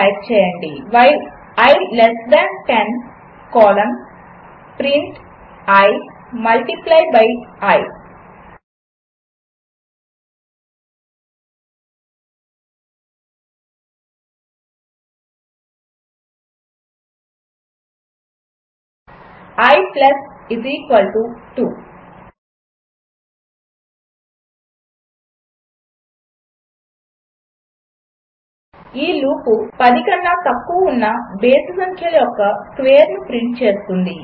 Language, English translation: Telugu, Type i = 1 while i less than 10 colon print i multiply by i i += 2 This loop prints the squares of the odd numbers below 10